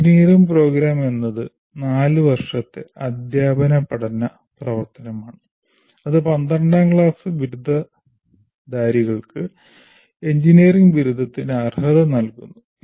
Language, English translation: Malayalam, Engineering program is a four year teaching and learning activity that can qualify 12th standard graduates to the award of engineering degrees